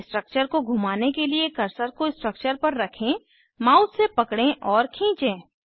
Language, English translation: Hindi, To rotate the structure, place the cursor on the structure, hold and drag the mouse